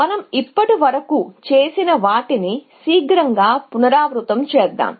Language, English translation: Telugu, Let us just do a quick recap of what we have done so far